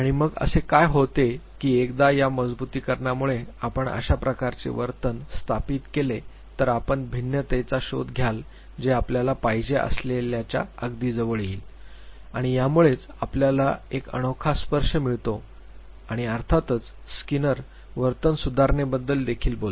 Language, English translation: Marathi, And then what happens that once you establish that type of a behavior because of this reinforcement you search for variation that would come very closer to what you wanted and this is what gives you a very unique touch and of course, skinner also talked about behavior modification